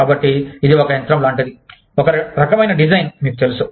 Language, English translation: Telugu, So, it is more of a machine like, a kind of design, you know